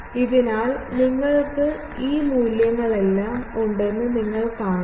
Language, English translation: Malayalam, So, you see you have all these values